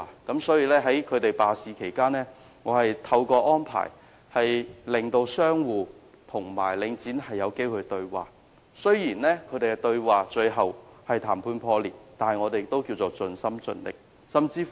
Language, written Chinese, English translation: Cantonese, 因此，在商戶罷市期間，我曾安排讓商戶和領展有機會對話，雖然雙方最終談判破裂，但我們也是盡心盡力的。, Hence during the strike of the tenants I had arranged an opportunity for dialogue between the tenants and Link REIT . Though the negotiation eventually broke down we had tried our best wholeheartedly